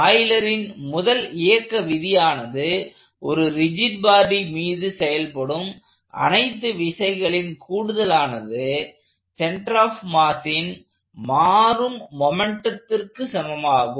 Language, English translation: Tamil, And the first law, the first Euler's law of motion states that the sum of all forces acting on a rigid body is equal to the rate of change of momentum of the center of mass